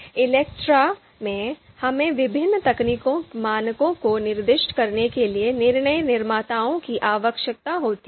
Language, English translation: Hindi, So in ELECTRE, we require decision makers to specify various technical parameters